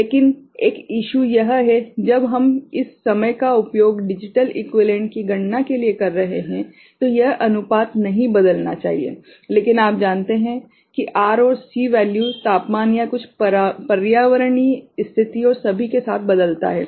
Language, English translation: Hindi, But one issue is there, when we are using this time for the calculation of the digital equivalent that this ratio should not change, but if you know R and C value changes with you know temperature or some environmental condition and all